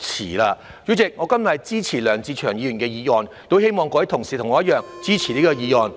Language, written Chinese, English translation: Cantonese, 代理主席，我今天支持梁志祥議員的議案，亦希望各位同事和我一樣，支持這項議案。, Deputy President I support Mr LEUNG Che - cheungs motion today and hope that Members will likewise support it